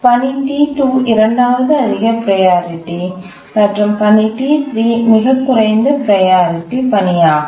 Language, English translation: Tamil, Task T2 is the second higher priority and T3 is the lowest priority task